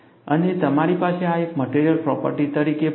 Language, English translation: Gujarati, And, you also have this as a material property